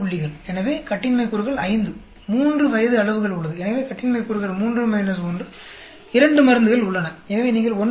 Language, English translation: Tamil, So, degrees of freedom is 5, there are 3 ages so degrees of freedom 3 minus 1, there are 2 drugs so you get 1